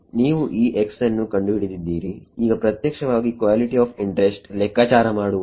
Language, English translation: Kannada, You have found out x, now actually calculating the quantity of interest